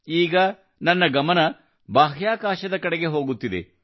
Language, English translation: Kannada, Now my attention is going towards space